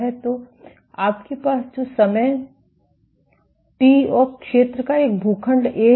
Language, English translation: Hindi, So, what you will have is a plot of time and area, A